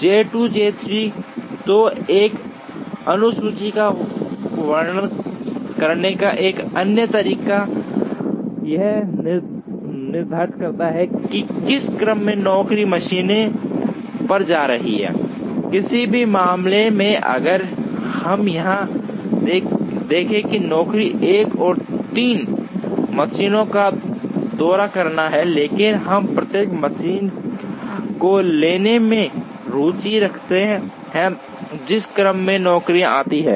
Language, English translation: Hindi, So, one other way of describing a schedule is to determine the order in which the jobs are going to visit the machines, the in any case if we see here job 1 has to visit all the 3 machines, but we are interested in taking each machine and the order in which the jobs come in